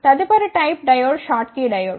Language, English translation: Telugu, The next type of diode is the Schottky Diode